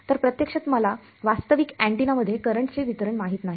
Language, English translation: Marathi, So, actually I do not know the current distribution in a realistic antenna